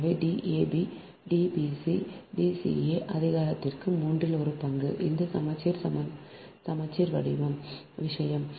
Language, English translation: Tamil, so d, a, b, d, b, c, d, c, a to the power one, third, this symmetric, symmetrical thing